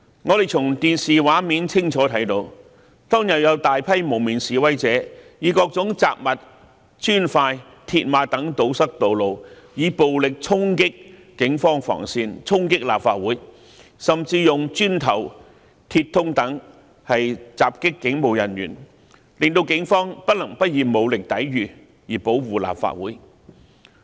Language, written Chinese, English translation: Cantonese, 我們從電視畫面清楚看到，當天有大批蒙面示威者以各種雜物、磚塊、鐵馬等堵塞道路，以暴力衝擊警方防線，衝擊立法會，甚至用磚頭、鐵通等襲擊警務人員，令警方不能不以武力抵禦，以保護立法會。, We clearly saw on television that a large group of masked protesters blocked the roads with miscellaneous objects bricks mills barriers etc and violently charged the police cordon lines and the Complex . They even attacked police officers with bricks and metal rods . Thus the Police had no other choice but to use force in defence to protect the Complex